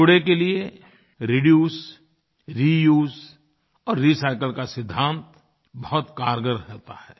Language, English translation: Hindi, For waste collection the principle of reduce, reuse and recycle is very effective